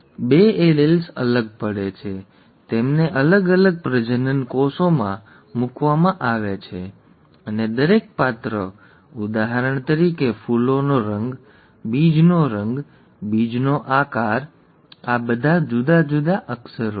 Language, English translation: Gujarati, The two alleles separate, they are placed in separate gametes; and each character, for example flower colour, seed colour, seed shape, these are all different characters